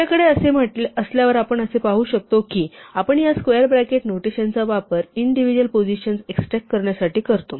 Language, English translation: Marathi, Once we have this then we can see that we use this square bracket notation to extract individual positions